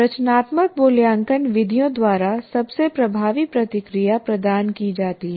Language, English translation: Hindi, And the most effective feedback is provided by the formative assessment methods